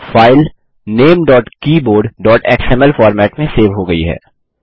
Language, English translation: Hindi, The file is saved in the format ltnamegt.keyboard.xml.Click Close